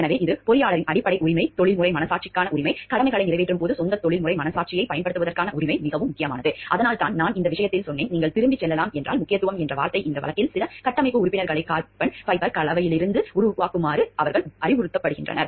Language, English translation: Tamil, So, it is the fundamental right of the engineer is the right to the professional conscience, the right to apply own professional conscience while discharging duties is very important that is why I told like in the case the word of importance was they were directed like if you can go back to the case, they were like directed to make some of the structural members out of carbon fiber composites